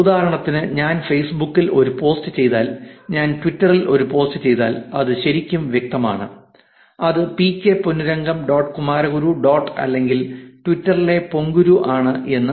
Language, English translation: Malayalam, Because for example, If I do a post on facebook, if I do a post on twitter it is actually very clear that it is pk ponnurangam dot kumaraguru dot or ponguru in twitter is actually doing the post